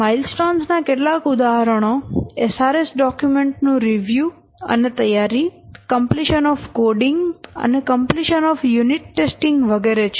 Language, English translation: Gujarati, A few examples of milestones are preparation of review of the SRS document, completion of design, completion of coding, completion of unit testing, completion of system testing, etc